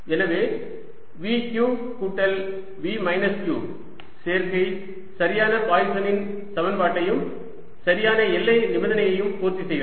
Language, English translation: Tamil, so the combination v, q plus v minus q satisfies the correct poisson's equation and the correct boundary condition